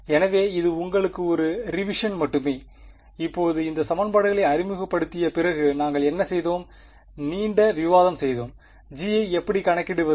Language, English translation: Tamil, So, this is just a revision for you and now the after we introduced these equations what did we do we went and had a long discussion how do we calculate g’s ok